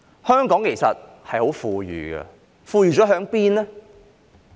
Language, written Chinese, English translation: Cantonese, 香港其實很富裕，財富在哪裏？, Hong Kong is really very rich but where is the wealth?